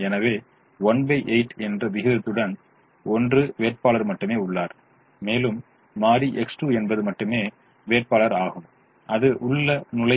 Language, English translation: Tamil, so there is only one candidate with the ratio one by eight, and variable x two is the only candidate and that will enter